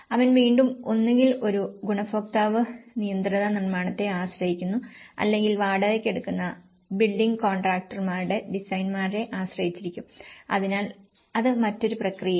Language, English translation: Malayalam, And he again relies on the either a beneficiary managed construction or it could be he relies on the designers of the building contractors who hire, so in that way, that is another process